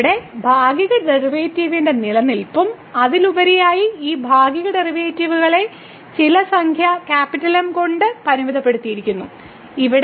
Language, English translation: Malayalam, So, the existence of the partial derivative here and moreover, these partial derivatives are bounded by some number here